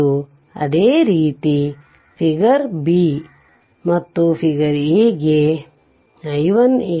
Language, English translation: Kannada, And similarly figure b figure a it is given i 1 0 i 2 0